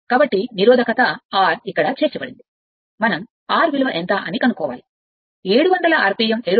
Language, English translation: Telugu, So, a resistance R had been inserted here, we have to find out, what is the R